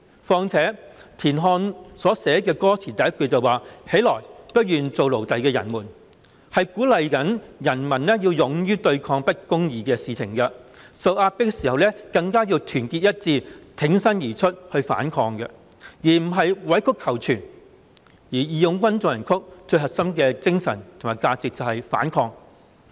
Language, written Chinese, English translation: Cantonese, 況且，田漢所寫的歌詞，第一句是"起來，不願做奴隸的人們"，是鼓勵人民要勇於對抗不公義的事情，受壓迫的時候更加要團結一致，挺身而出去反抗，而不是委曲求全，"義勇軍進行曲"最核心的精神及價值就是反抗。, After all the first verse of the national anthem written by TIAN Han reads Arise ye who refuse to be slaves . It encourages people to be brave to rise against injustice and not to stoop to compromise . Resistance is the core spirit and value of the March of the Volunteers